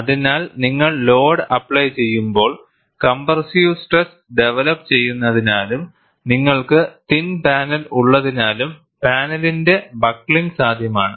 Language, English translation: Malayalam, So, when you apply the load, because of compressive stresses developed, and since you are having a thin panel, buckling of the panel is possible